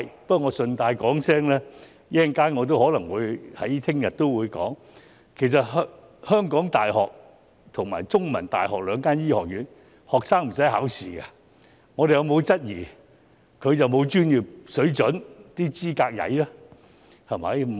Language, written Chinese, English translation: Cantonese, 不過，我順帶一提，我稍後或明天也可能會說的，其實香港大學及香港中文大學的醫學院學生並不需要考試，我們有否質疑過他們的專業水準及資格欠佳？, However I would like to mention in passing as I may mention the same later today or tomorrow that the medical students of the University of Hong Kong and The Chinese University of Hong Kong are not required to sit the examinations . Have we ever queried about their professional standards and qualifications?